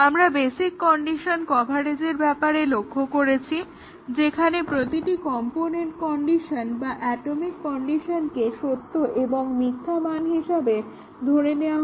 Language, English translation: Bengali, We had looked at the basic condition coverage, where every component condition or atomic condition is made to assume true and false values